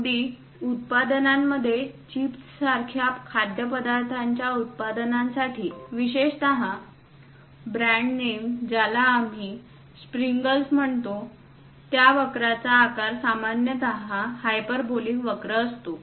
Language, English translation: Marathi, Even for products food products like chips, especially the brand name we call Pringles; the shape of that curve forms typically a hyperbolic curve